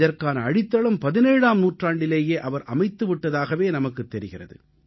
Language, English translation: Tamil, One feels the foundation of the idea was laid in the 17th century itself